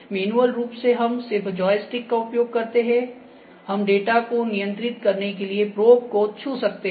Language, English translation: Hindi, Manual manually also luck we just using a joystick, we can keep touching the probe to control the data